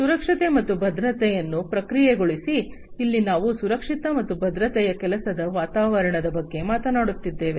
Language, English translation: Kannada, Process safety and security, here we are talking about safe and secure working environment